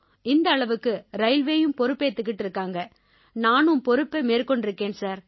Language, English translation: Tamil, Railway took this much responsibility, I also took responsibility, sir